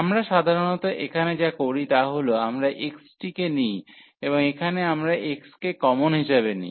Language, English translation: Bengali, So, basically what usually we do here, so we take x and here also we will take x common